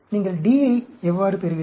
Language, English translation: Tamil, How do you get D